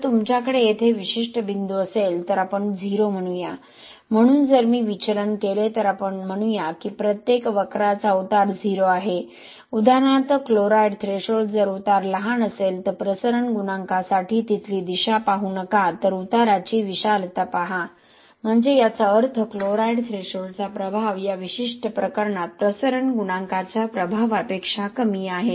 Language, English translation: Marathi, If you have a particular point here let us say 0, so if I deviate let us say if I talk about the slope of each of these curve about 0 for example this chloride threshold if the slope is small slope is smaller than the slope for the diffusion coefficient here okay do not look at the direction there but the magnitude of the slope if you look at, so what it means is the effect of chloride threshold is actually less than the effect of diffusion coefficient in this particular case